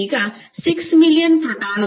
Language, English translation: Kannada, Now, for 6 million protons multiply 1